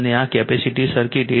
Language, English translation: Gujarati, And this is your capacitive circuit 8